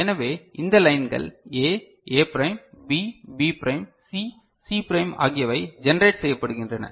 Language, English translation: Tamil, So, these are the lines that are there A, A prime, B, B prime, C, C prime are generated